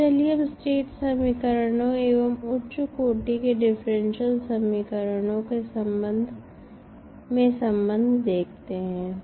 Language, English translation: Hindi, Now, let us see the relationship between state equations and the high order differential equations